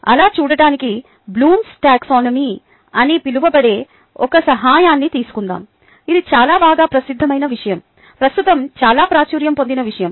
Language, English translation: Telugu, to do that, let us take the help of something called blooms taxonomy, which is a very well known ah thing, very popular thing right now